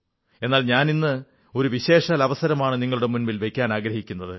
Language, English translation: Malayalam, But today, I wish to present before you a special occasion